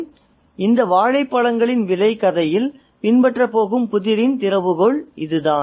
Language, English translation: Tamil, So, this is the key to the puzzle that's going to follow in this price of bananas story